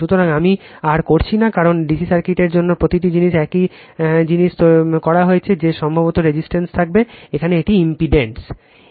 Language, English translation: Bengali, So, I am not doing further, because means every things are being done for DC circuit the same thing that probably there will be resistance, here it is impedance right